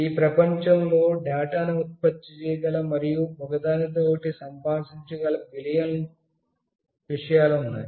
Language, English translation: Telugu, There are billions of things in the world that can generate data and communicate with each other